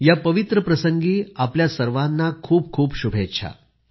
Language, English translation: Marathi, On this auspicious occasion, heartiest greetings to all of you